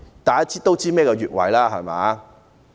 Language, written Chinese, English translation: Cantonese, 大家也知道何謂越位，對嗎？, Members know what the offside rule is dont they?